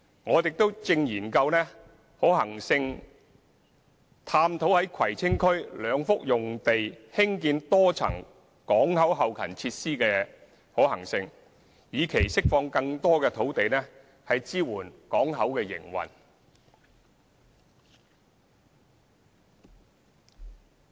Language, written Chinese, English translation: Cantonese, 我們亦正進行可行性研究，探討在葵青區兩幅用地興建多層港口後勤設施的可行性，以期釋放更多土地支援港口營運。, We have also conducted a feasibility study to examine the feasibility of developing multi - storey facilities at suitable two sites in Kwai Tsing so that more land can be released to support port operations